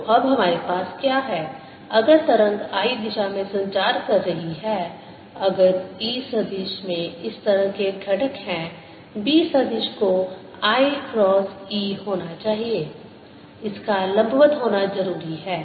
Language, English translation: Hindi, so what we have now is that if the wave is propagating in the i direction, if e vector has components like this, the b vector has to be i cross e